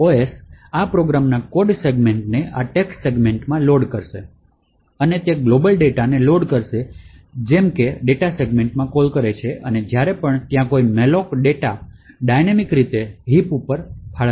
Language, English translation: Gujarati, The OS would load the code segments of this particular program into this text segment, it would load the global data such as calls into the data segment and whenever there is a malloc like this, which is dynamically allocated data, so this data gets allocated into the heap